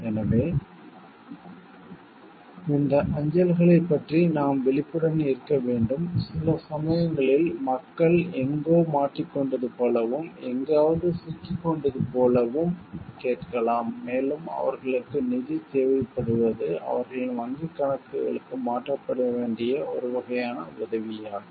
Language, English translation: Tamil, So, we should be like aware of this mails, sometimes it happens people may ask like they have got trapped somewhere and they have got trapped somewhere and they need fund stood a which is a sort of help that needs to be transferred to their bank accounts and all these type of mails come